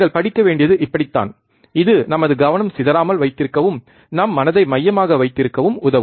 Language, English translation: Tamil, That is how you should study, it will help to keep our concentration and keep our mind focus